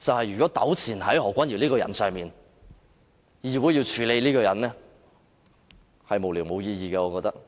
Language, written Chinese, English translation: Cantonese, 如果糾纏在何君堯議員這個人身上，議會要處理這個人，我覺得是無聊，無意義的。, I do think it is frivolous and meaningless if this Council has to entangle with Dr Junius HO and handle his mess